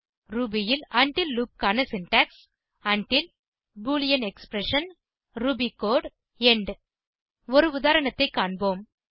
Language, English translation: Tamil, The syntax for the until loop in Ruby is until boolean expression ruby code end Let us look at an example